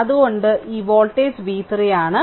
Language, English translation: Malayalam, So, this voltage is v 3 right